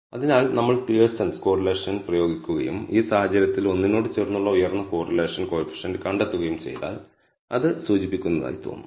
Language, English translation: Malayalam, So, what it seems to indicate is that if we apply the Pearson’s correlation and we find the high correlation coefficient close to one in this case